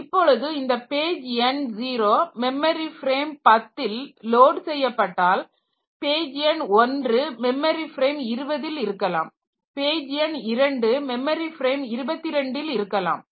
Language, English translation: Tamil, So, if this first page number 0, if it is loaded at memory frame 10 then page number 1 may be at 20, page number 2 may be at 22 and page number 3 may be at memory frame 35